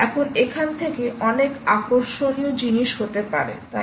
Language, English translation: Bengali, now from here, many interesting things can happen, right